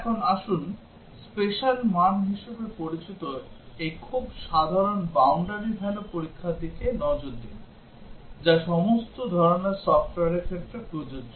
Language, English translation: Bengali, Now, let us look at this very general special value testing called as boundary value, which is applicable to all types of software